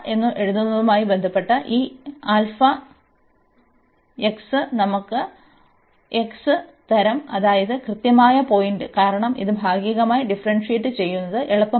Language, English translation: Malayalam, And this alpha x with respect to alpha will give us x, and that is exactly the point, because this was not easy to differentiate partially